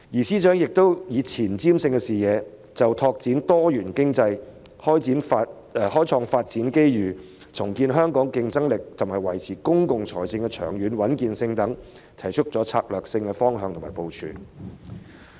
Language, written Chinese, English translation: Cantonese, 司長亦以前瞻性的視野，就發展多元經濟、開創發展機遇、重建香港競爭力，以及維持公共財政的長遠穩健性等事宜，提出策略性的方向和部署。, The Financial Secretary has also taken a forward - looking perspective and proposed strategic directions and strategies in respect of issues such as developing a diversified economy creating development opportunities rebuilding Hong Kongs competitiveness and maintaining the long - term stability of public finances